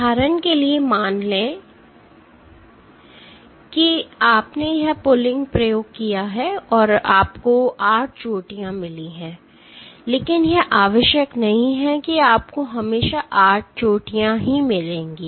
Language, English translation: Hindi, For example, let us say you did this pulling experiment and you got 8 peaks, but it is not necessary that you will always get 8 peaks